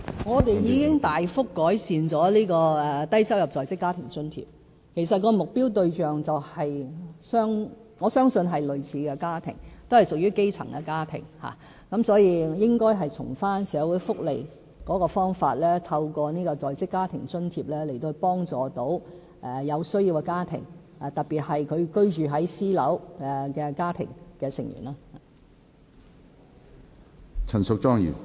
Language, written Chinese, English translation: Cantonese, 我們已大幅改善低收入在職家庭津貼，我相信其目標對象是類似的家庭，均屬於基層家庭，所以應從社會福利的方法，透過在職家庭津貼來幫助有需要的家庭，特別是居住在私樓的家庭成員。, We have significantly improved the Low - income Working Family Allowance LIFA Scheme . I think that the target families of LIFA groups are similar to the ones we are discussing now basically grass - roots families . Thus we should adopt a social welfare approach and assist the families in need especially those living in private housing through LIFA